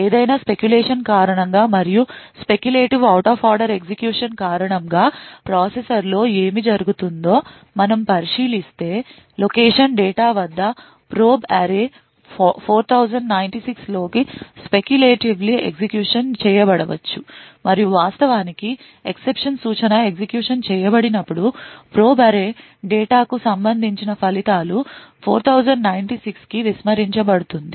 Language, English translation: Telugu, However, due to speculation and if we consider what happens within the processor due to speculative out of order execution, the probe array at the location data into 4096 maybe speculatively executed and when the exception instruction is actually executed the results corresponding to probe array data into 4096 would be actually discarded